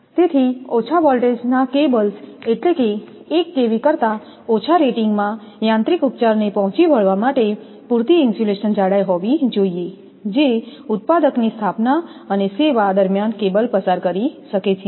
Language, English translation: Gujarati, So, the low voltage cables, that is, less than 1kV rating should have sufficient insulation thickness to meet the mechanical treatment which the cable may undergo during manufacturer installation and service